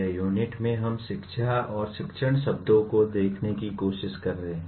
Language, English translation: Hindi, The unit is we are trying to look at the words education and teaching